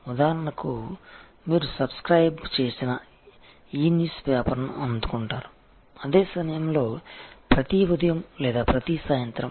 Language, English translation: Telugu, Example, you receive a e newspaper to which you have subscribed, at the same time every morning or every evening